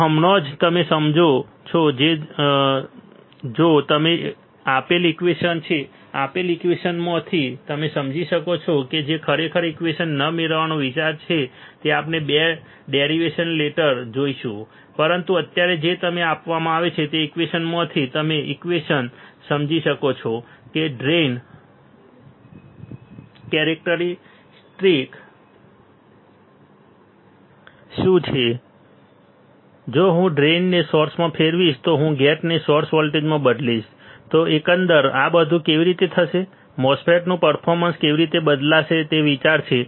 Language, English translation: Gujarati, So, right now you just understand that if this is the equation given to you what you can understand from the given equation that is the idea not to really derive the equation we will see one 2 derivations later, but right now if you are given the equation from the equation can you understand what is a drain characteristics if I change the drain to source if I change gate to source voltage, how the overall things would happen, how the performance of the MOSFET is going to change that is the idea ok